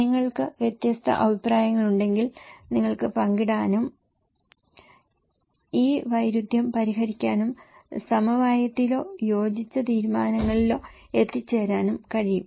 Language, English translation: Malayalam, If you have different opinions, you can share and you can resolve this conflict and come into consensus or agreed decisions